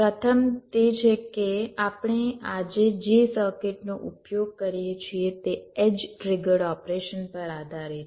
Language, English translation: Gujarati, first is that most of the circuits that we use today there are based on edge trigged operation